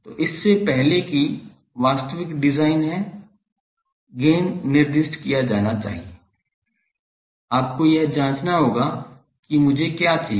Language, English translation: Hindi, So, before that actual design is the gain should be specified, you will have to check that what I require